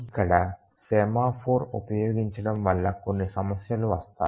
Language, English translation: Telugu, Here using a semaphore will lead to some problems